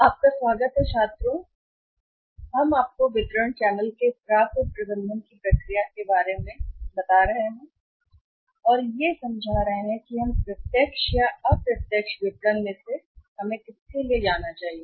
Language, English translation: Hindi, Welcome students the process of receivables management we are talking about the distribution channel and in the distribution channel to understand whether we should go for the direct marketing or we should go for the indirect marketing